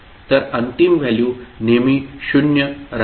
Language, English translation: Marathi, So final value will always be zero